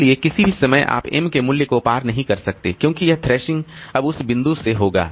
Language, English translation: Hindi, So, at any point of time you cannot cross the value of M because this this thrashing will occur from that point onwards